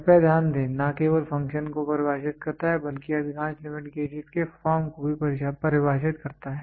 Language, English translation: Hindi, Please underline defines not only defines the function, but also defines the form of most limit gauges